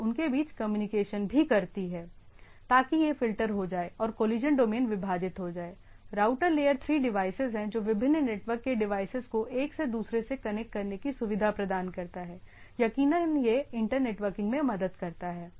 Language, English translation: Hindi, And also communicate between so that it is filtered and the collision domain are divided; routers typically layer 3 device connects to, to devices on the network; more precisely if we see that it helps in inter networking